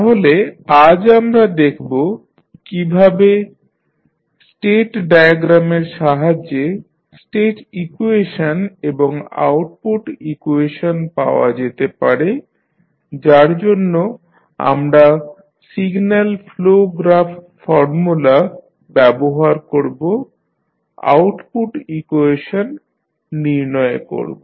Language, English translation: Bengali, So, we will see today that how state equation or output equations can be obtained with the help of state diagram for that we use signal flow graph gain formula and find out the state and output equations